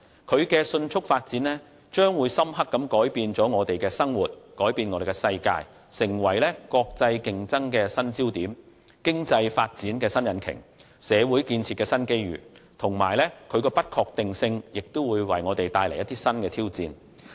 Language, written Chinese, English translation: Cantonese, 這高速發展將會深刻改變我們的生活和世界，成為國際競爭的新焦點，經濟發展的新引擎及社會建設的新機遇，而其不確定性則會為我們帶來新挑戰。, Such high - speed development will profoundly change our life and the world and emerge as the new focus of international competition the new engine of economic development and the new opportunity of community building whereas its uncertainty will bring us new challenges